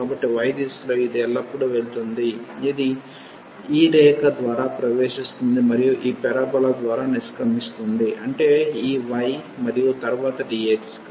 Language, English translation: Telugu, So, in the direction of y it always goes from it enters through this line and exit through this parabola so; that means, this y and then dx